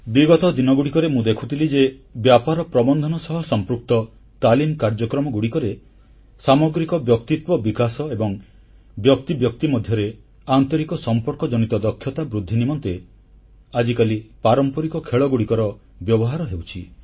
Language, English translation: Odia, I recently noticed in a training programme in Business Management, our traditional sports and games being used for improving overall personality development and interpersonal skills